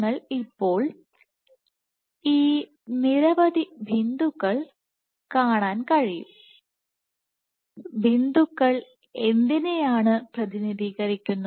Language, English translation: Malayalam, So, you can see multiple of these dots now what do these dots represent